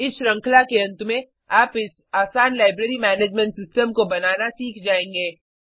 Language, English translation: Hindi, At the end of this series, you will learn to create this simple Library Management System